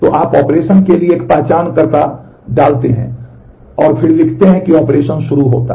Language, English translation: Hindi, So, you put an identifier to the operation and then you write operation begin